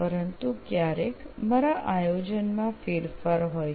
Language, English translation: Gujarati, But my strategy changes sometimes